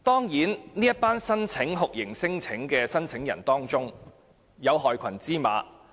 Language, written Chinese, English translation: Cantonese, 在酷刑聲請者中，當然會有害群之馬。, There are of course black sheep among the torture claimants